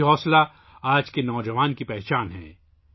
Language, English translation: Urdu, This zest is the hallmark of today's youth